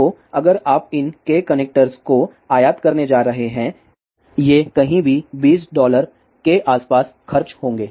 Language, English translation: Hindi, So, if you are going to import these K connectors this will cost anywhere around twenty dollars or so